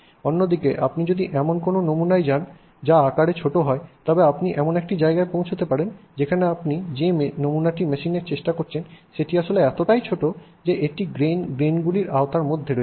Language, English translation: Bengali, On the other hand if you go to a sample that is smaller and smaller and smaller and smaller in size, you may reach a point where let's say the sample that you are trying to machine is actually so small that it is within the scope of this grain